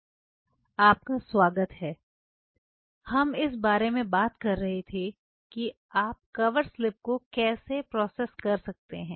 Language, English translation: Hindi, Welcome back, we were talking about how you can process the cover slips